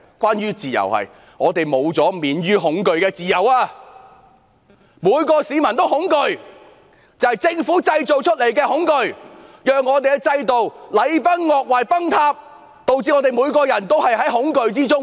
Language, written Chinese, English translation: Cantonese, 便是我們失去免於恐懼的自由，每位市民也恐懼，那是政府製造出來的恐懼，令我們的制度禮崩樂壞，導致我們每個人也活在恐懼之中。, It is the deprivation of our freedom from fear . A sense of fear has gripped every member of the public . Such fear is created by the Government leaving our systems in tatters and causing every one of us to live in fear